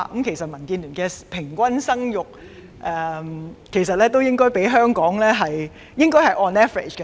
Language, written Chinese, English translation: Cantonese, 其實，民建聯的平均生育率相對於香港的數字，應該是 on average。, In fact the average fertility rate of DAB should be an average of Hong Kongs general figure